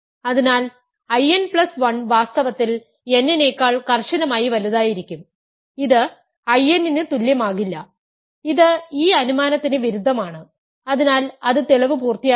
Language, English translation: Malayalam, So, I n plus 1 would be in fact, strictly bigger than I n and it will not be equal to I n which contradicts this assumption so that is the completion that completes the proof